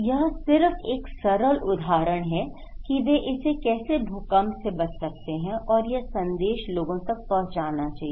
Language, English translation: Hindi, So, this is just one simple example that how they can do it and this message should be given to the people